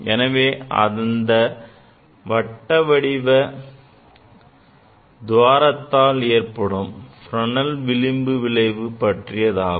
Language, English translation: Tamil, So, this will demonstrate the Fresnel diffraction due to circular aperture